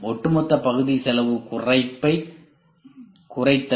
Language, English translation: Tamil, And reducing the overall part cost reduction